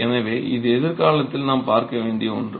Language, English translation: Tamil, So, this is something that we should be seeing in the near future